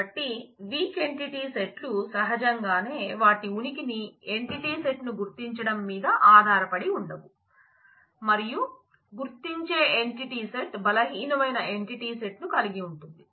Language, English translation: Telugu, So, weak entity sets naturally cannot happen by themselves their existence dependent on identifying entity set and the identifying entity set owns the weak entity set